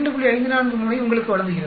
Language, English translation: Tamil, 543, it gives you here 2